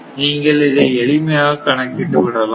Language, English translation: Tamil, So, this is the way that we can calculate